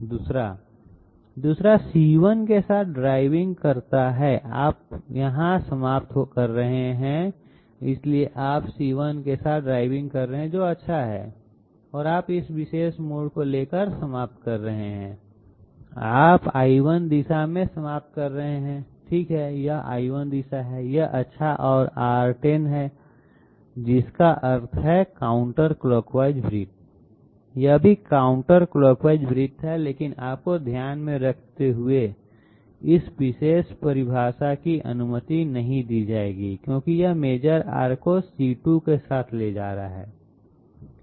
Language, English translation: Hindi, 2nd one, 2nd one reads driving along C1, you are ending up so you are driving along C1 that is good and you are ending up by taking this particular diversion, you are ending up in the L1 direction, okay it s it is L1 direction that is good and R 10 that means counterclockwise circle, this is also counterclockwise circle but mind you, this particular definition will not be allowed since it is taking the major arc along C2